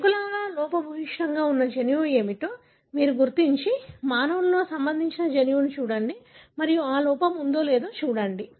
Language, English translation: Telugu, So, you identify what is the gene that is defective in mouse and look at the corresponding gene in the human and see whether that has defect